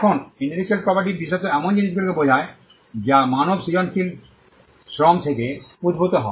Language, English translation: Bengali, Now, intellectual property specifically refers to things that emanate from human creative labour